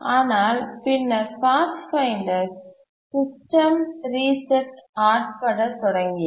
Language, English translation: Tamil, But then the Pathfinder began experiencing system resets